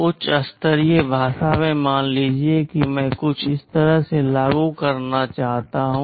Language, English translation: Hindi, Suppose in high level language, I want to implement something like this